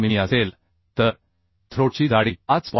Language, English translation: Marathi, 6 mm so throat thickness is 5